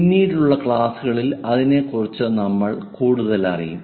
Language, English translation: Malayalam, We will learn more about that in the later classes